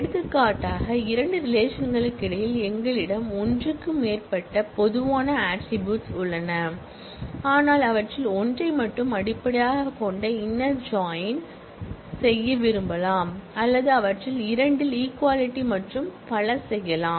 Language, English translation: Tamil, For example, between the two relations, we have more than one common attribute, but we may want to actually do the inner join based on only one of them or equality on two of them and so on